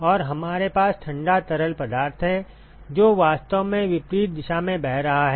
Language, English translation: Hindi, And we have cold fluid which is actually flowing the opposite direction